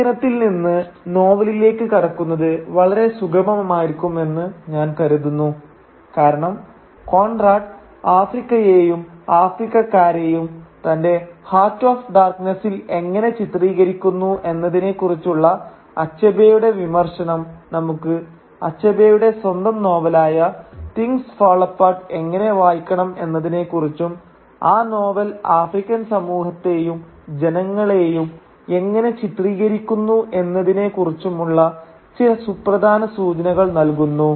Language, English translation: Malayalam, And I think that this transition from the essay to the novel would be a smooth one because Achebe’s criticism of how Conrad portrays Africa and Africans in his Heart of Darkness will provide us with some very important clues about how to read Achebe’s own novel Things Fall Apart and its depiction of African society and African people